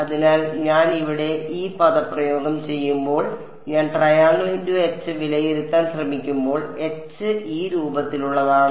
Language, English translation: Malayalam, So, when I do this expression over here when I try to evaluate curl of H and H is of this form